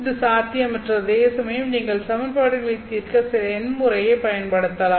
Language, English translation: Tamil, Whereas you can use some numerical method to solve for the equations